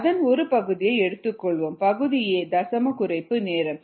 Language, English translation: Tamil, let us go back and look at the basis for the derivation of ah decimal reduction time